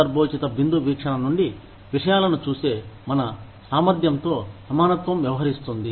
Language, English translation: Telugu, Equitability deals with, our ability to look at things, from a contextual point view